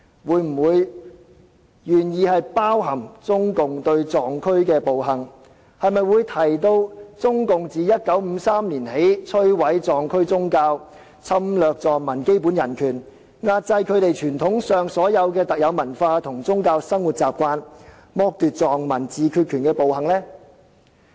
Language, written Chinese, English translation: Cantonese, 會否提及中共對藏區的暴行，會否提及中共自1953年起摧毀藏區宗教，侵略藏民基本人權，壓制他們傳統上的特有文化和宗教生活習慣，剝奪藏民自決權的暴行？, Will we mention the atrocities of CPC in the Tibetan areas? . Will we mention CPCs destruction of the Tibetan religion violation of the basic human rights of Tibetans suppression of Tibetans unique traditional cultural and religious habits and deprivation of Tibetans right to self - determination since 1953?